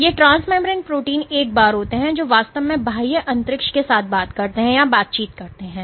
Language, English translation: Hindi, So, these transmembrane proteins are the once which actually talk or interact with the extracellular space